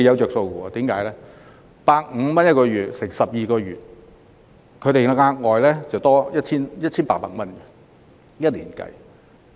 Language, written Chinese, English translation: Cantonese, 若把每月150元乘以12個月，外傭每年便可額外多獲 1,800 元。, If we multiply the monthly compensation of 150 by 12 months FDH will earn an additional 1,800 per year